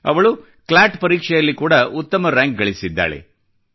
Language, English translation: Kannada, She has also secured a good rank in the CLAT exam